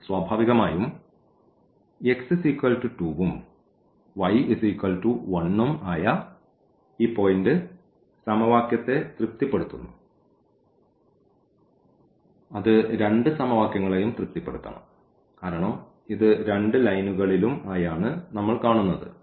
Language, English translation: Malayalam, So, naturally this point where x is 2 and y is 1 it satisfies both the equation; it must satisfy both the equations because, it lies on both lines and what else we see here